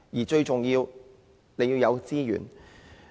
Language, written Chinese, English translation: Cantonese, 最重要是要有資源。, To achieve that resource is most crucial